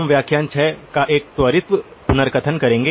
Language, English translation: Hindi, We will do a quick recap of lecture 6